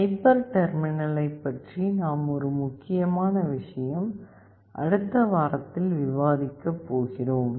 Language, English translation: Tamil, One important thing we have not talked about hyper terminal that we will be discussing in the next week